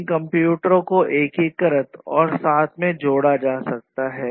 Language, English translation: Hindi, And these can these computers can be integrated together; they can be connected together